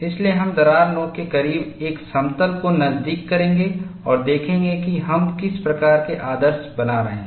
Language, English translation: Hindi, So, we will pass a plane close to the crack tip, and look at what is the kind of idealizations that we are making